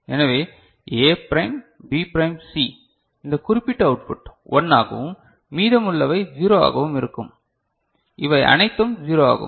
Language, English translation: Tamil, So, A prime B prime C these particular will be output will be 1 and rest all 0, these are all 0